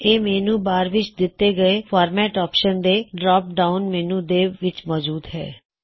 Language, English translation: Punjabi, AutoCorrect is found in the drop down menu of the Format option in the menu bar